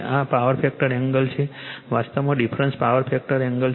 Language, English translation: Gujarati, This is a power factor angle actually difference is the power factor angle